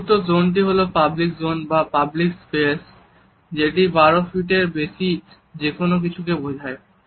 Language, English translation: Bengali, The fourth zone is the public zone or the public space, which is anything over 12 feet